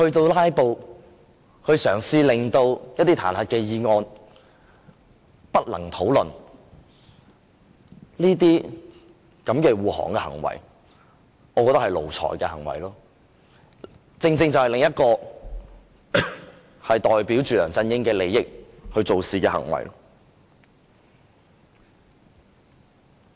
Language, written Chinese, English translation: Cantonese, 用"拉布"嘗試令彈劾議案無法討論，我覺得這種護航的行為是奴才的行為，是另一種為梁振英的利益做事的行為。, In my view to stop the discussion on the motion of impeachment by filibustering is an act of lackeys to protect their master and it is just another act to work to the advantage of LEUNG Chun - ying